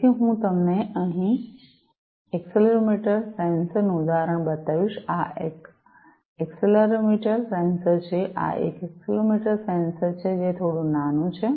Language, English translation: Gujarati, So, let me show you the example of an accelerometer sensor over here, this is an accelerometer sensor; this is an accelerometer sensor it is little small